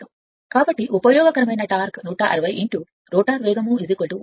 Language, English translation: Telugu, So, useful torque is given 160 into your rotor speed you got 100